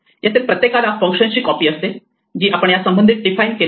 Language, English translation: Marathi, Each of them has a copy of the function that we have defined associated with it